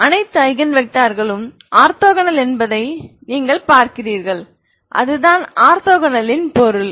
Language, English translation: Tamil, So distinct Eigen vectors are all orthogonal, what you mean by orthogonal